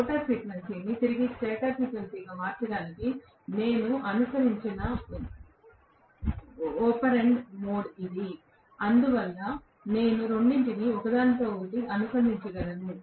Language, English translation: Telugu, And this is the mode of operandi I have adopted to convert the rotor frequency also back to stator frequency so that I can interconnect both of them